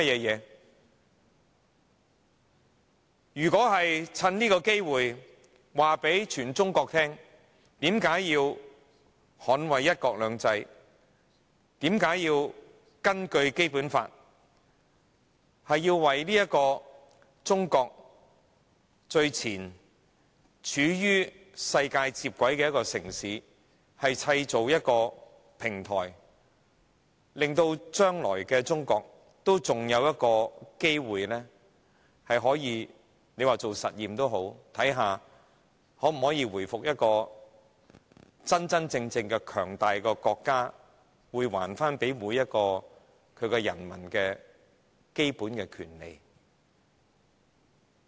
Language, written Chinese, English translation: Cantonese, 如果是想趁機向全中國宣示為何要捍衞"一國兩制"，便須根據《基本法》為走在中國最前、處於世界接軌處的城市製造平台，令未來的中國還有機會——即使是做實驗也好——看看能否藉此回復一個真正強大國家的面貌，還給人民最基本的權利。, If the Central Government wish to make use of this opportunity to declare its purpose of defending one country two systems it has to in accordance with the Basic Law create a platform for its pioneering city lying right at the junction where the country aligns with the world so as to see if it is possible for China―well as an experiment―to resume its status as a genuinely powerful state and give its subjects all the fundamental rights